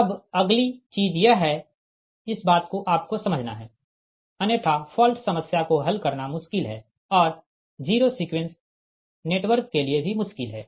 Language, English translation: Hindi, now next one is this thing, this thing you have to understand, otherwise difficult to solve, fault problem and difficult for the zero sequence network